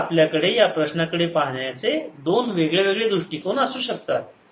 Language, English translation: Marathi, so we have two different ways of looking at the problem